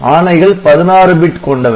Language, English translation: Tamil, So, this is also a 16 bit coding